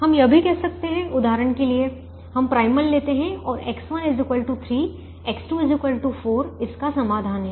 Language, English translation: Hindi, we can also say that, for example, we take the primal and x one is equal to three, x two equal to four is the solution